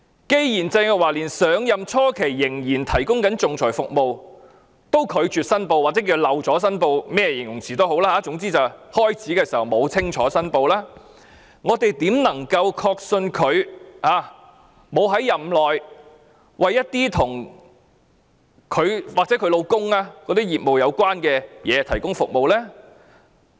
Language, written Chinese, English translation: Cantonese, 既然鄭若驊上任初期仍然提供仲裁服務又拒絕申報，或漏了申報，甚麼形容詞也好；既然她上任時沒有清楚申報，我們怎能確信她沒有在任內為一些與她本人或她丈夫的業務有關的事提供服務？, Since Teresa CHENG still provided arbitration services upon her assumption of office and refused to declare interests or forgot to declare interests whatever the case may be; since she did not make a clear declaration when she took office how can we be sure that she has not provided services for matters related to her or her husbands business during her tenure?